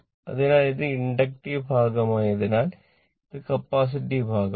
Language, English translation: Malayalam, Because, one is inductive another is capacitive